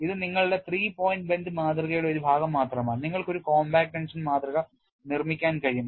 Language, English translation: Malayalam, It is only a fraction of your three point bend specimen; you can make a compact tension specimen